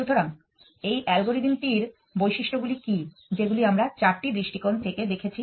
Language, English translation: Bengali, So, what are the properties of this algorithm that we have looked at properties from four perspective